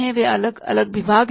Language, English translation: Hindi, They are different departments